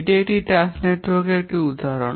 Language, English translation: Bengali, This is an example of a task network